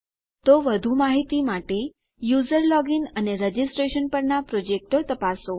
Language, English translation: Gujarati, So check my projects on user login and registration for more information